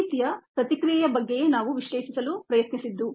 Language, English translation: Kannada, this is the kind of ah response that we were trying to analyze